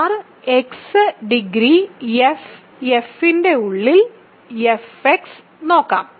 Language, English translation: Malayalam, Let us look at f X inside R X degree of f X is at least 3